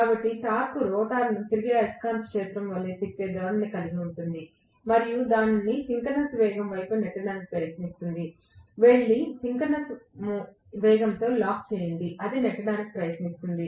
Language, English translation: Telugu, So, the torque would have a tendency to rotate the rotor in the same direction as that of the revolving magnetic field and try to push it towards the synchronous speed, go and lock up at the synchronous speed that is what it will try to push it